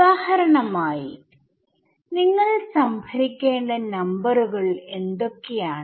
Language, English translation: Malayalam, So, for example, what all numbers will you have to store